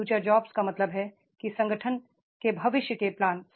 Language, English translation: Hindi, The future jobs means that is the organization's future planning